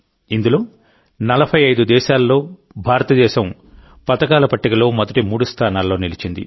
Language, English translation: Telugu, In this, India remained in the top three in the medal tally among 45 countries